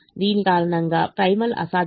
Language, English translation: Telugu, primal was not feasible